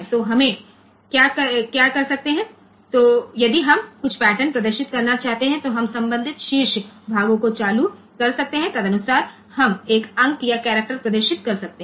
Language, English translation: Hindi, So, what can we do if we want to display some pattern we can turn on the corresponding top portions accordingly we can get a digit or a character displayed